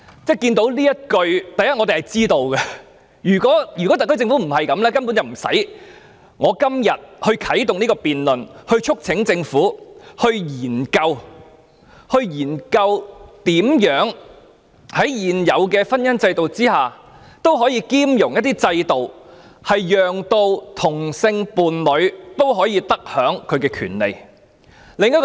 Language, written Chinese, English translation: Cantonese, 首先我們對此完全理解，如果特區政府不是抱持這種態度，今天便不用由我啟動這項議案的辯論，促請政府研究如何在現行婚姻制度下，納入一些兼容制度，讓同性伴侶可得享其權利。, First of all we fully understand this . If the SAR Government is not holding such an attitude that I would not have to move this motion for debate today to urge the Government to study the inclusion of some mutually compatible systems under into the existing marriage system to allow homosexual couples to enjoy their rights